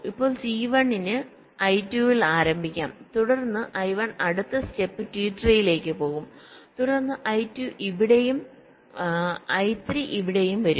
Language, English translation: Malayalam, then next step, i one will go to t three, then i two will come here and i three will come here